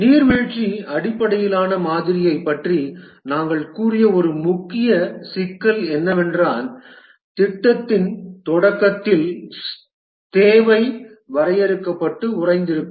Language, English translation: Tamil, One of the main problem that we had said about the waterfall based model is that the requirement is defined and frozen at the start of the project